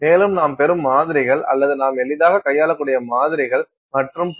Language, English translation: Tamil, And, the samples that you get or samples that you can handle easily you can handle in your hand and so on